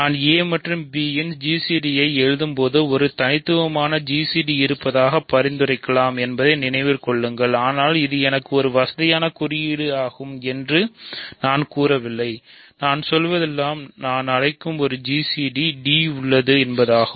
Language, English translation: Tamil, Remember when I write g c d of a and b it may suggest that there is a unique g c d, but I am not claiming that this is just a convenient notation for me all I am saying is that there is a g c d which I am calling d